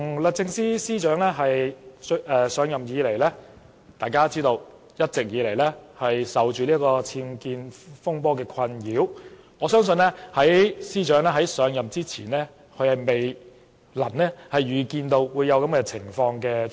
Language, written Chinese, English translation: Cantonese, 律政司司長自上任以來，一直備受僭建風波的困擾，我相信這是司長在上任前未能預見的情況。, Since her assumption of office the Secretary for Justice has been plagued by the unauthorized building works UBWs in her residence . I believe she has never anticipated such a situation